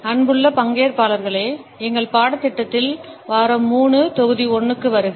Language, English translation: Tamil, Dear participants, welcome to week 3, module 1, in our course